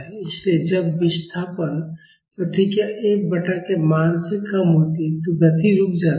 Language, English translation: Hindi, So, when the displacement response is less than the value of F by k, the motion stops